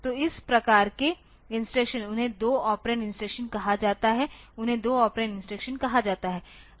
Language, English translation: Hindi, So, these type of instructions they are called 2 operand instruction they are called 2 operand instruction